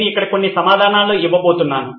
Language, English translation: Telugu, I’m going to give out some of the answers here